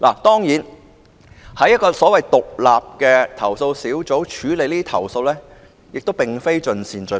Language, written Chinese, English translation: Cantonese, 當然，在一個獨立的投訴小組處理這些投訴，未必可做到盡善盡美。, Certainly it may not be a perfect arrangement for these complaints to be handled by an independent complaint - handling panel